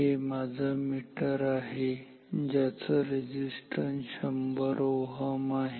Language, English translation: Marathi, So, I, either, so this is my meter it has an resistance of 100 ohm